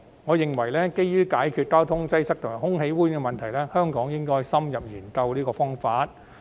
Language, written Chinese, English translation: Cantonese, 我認為基於解決交通擠塞及空氣污染問題，香港應該深入研究這個方法。, I consider that to address traffic congestion and air pollution Hong Kong should conduct an in - depth study on this approach